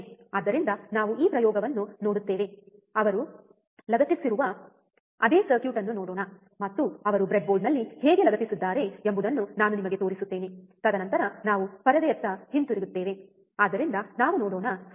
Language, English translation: Kannada, So, we will see this experiment, let us see the same circuit he has attached, and I will show it to you how he has attached on the breadboard, and then we come back to the to the screen alright so, let us see the circuit